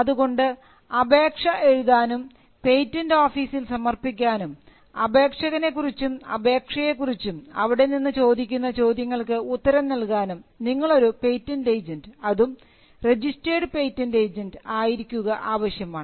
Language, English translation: Malayalam, So, to draft and file patents and to answer objections raised by the patent office with regard to an applicant, application, you need to be a patent agent; a registered patent agent